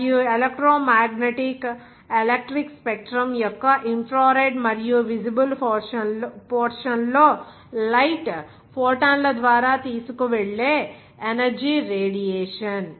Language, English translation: Telugu, And radiation the energy carried by photons of light in the infrared and visible portion of the electromagnetic electric spectrum